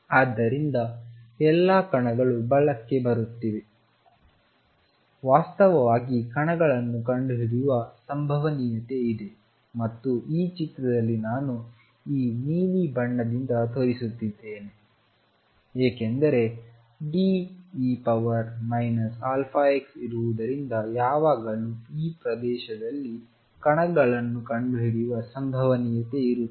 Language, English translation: Kannada, So, all the particles are coming to the right are actually getting reflected at the same time there is a probability of finding the particles and I am showing by this blue in this figure because there is a D e raised to minus alpha x there is always a probability of finding particles in this region